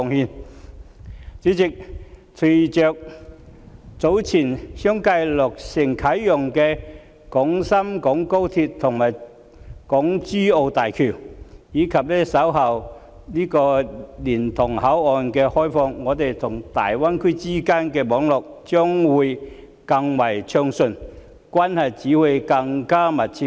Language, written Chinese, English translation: Cantonese, 代理主席，隨着早前相繼落成啟用的廣深港高速鐵路和港珠澳大橋，以及稍後蓮塘口岸的開通，香港與大灣區之間的網絡將會更為暢順，關係只會更密切。, Deputy President following the successive commissioning of the Guangzhou - Shenzhen - Hong Kong Express Rail Link and the Hong Kong - Zhuhai - Macao Bridge as well as the commissioning of the Liantang Boundary Control Point later the network between Hong Kong and the Greater Bay Area will allow greater accessibility and their relationship will only become closer